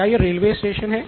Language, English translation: Hindi, Is this a railway station